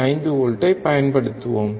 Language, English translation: Tamil, 5 volts first